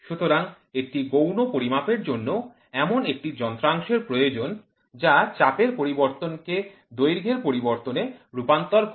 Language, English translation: Bengali, Therefore, a secondary measurement requires an instrument which translates pressure change into length change